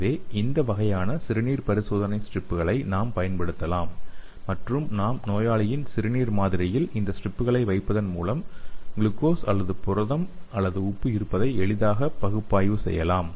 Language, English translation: Tamil, So we can use this kind of urine test strips and we can dip in the urine sample of the patient and we can easily analyse the presence of glucose or protein or the salt